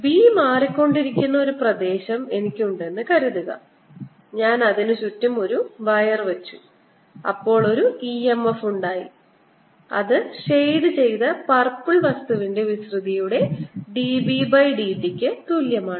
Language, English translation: Malayalam, so one can say: suppose i have an area through which b is changing and i put a wire around it, then there is an e m f generated which is equal to d, b, d t times the area of that shaded purple things